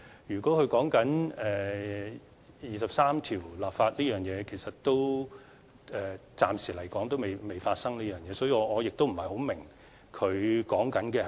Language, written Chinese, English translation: Cantonese, 如果他說的是就第二十三條立法這方面，暫時來說仍未發生，所以，我不太明白他說的是甚麼。, If he wants to talk about the enactment of legislation to implement Article 23 of the Basic Law I must say I cannot quite understand his point because this is something that has not yet happened